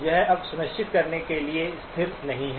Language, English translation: Hindi, It is no longer stationary for sure